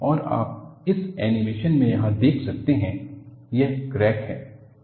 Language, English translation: Hindi, And, you could see here in this animation, this is the crack